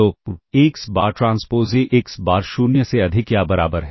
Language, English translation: Hindi, So, xBar transpose AxBar is greater than or equal to 0